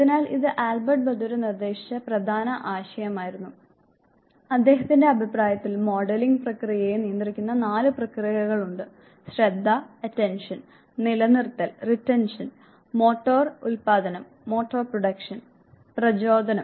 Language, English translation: Malayalam, So, this was major concept proposed by Albert Bandura and according to him there are four processes which govern the process of modelling; attention, retention, motor production and motivation